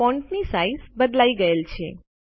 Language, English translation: Gujarati, The size of the font has changed